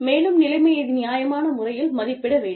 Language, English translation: Tamil, And, the situation should be assessed, in a reasonable manner